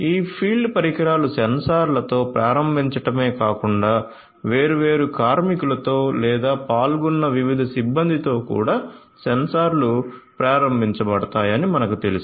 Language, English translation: Telugu, So, let me also tell you that not only this field devices are enabled with the sensors, but these are also you know the sensors are also enabled with the different workers, or the different personnel that are involved